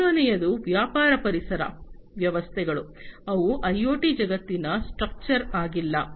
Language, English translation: Kannada, The third one is that the business ecosystems, they are not structured in the IoT world